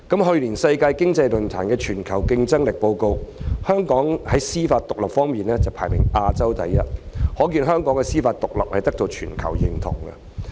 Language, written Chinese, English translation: Cantonese, 去年世界經濟論壇的《全球競爭力報告》顯示，在司法獨立方面，香港在亞洲排行第一，可見香港的司法獨立得到全球認同。, According to the Global Competitiveness Report issued by WEF last year Hong Kong is ranked first in Asia for judicial independence which is evident that the judicial independence of Hong Kong is recognized worldwide